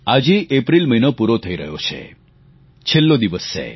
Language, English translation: Gujarati, Today is the last day of month of April